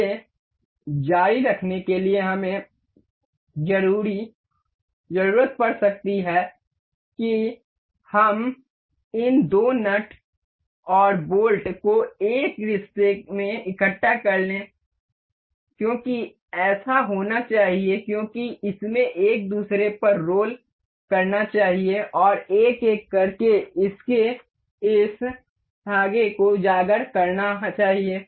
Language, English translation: Hindi, In continuation with this we can we need we should assemble these two nut and bolt in a relation that it should because it had threads it should roll over each other and uncover this thread one by one